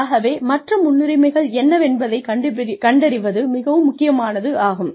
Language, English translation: Tamil, So, knowing what these, other priorities are, is very important